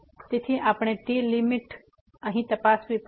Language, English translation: Gujarati, So, we have to check those limits here